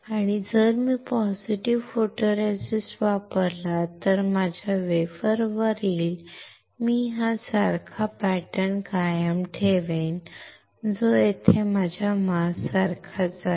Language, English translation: Marathi, And if I use positive photoresist, then on my wafer I will retain this similar pattern, which is the same like my mask